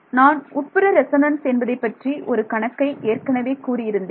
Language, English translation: Tamil, I mentioned one problem which is called internal resonances